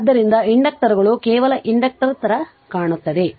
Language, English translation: Kannada, So, inductors so an inductor just look into that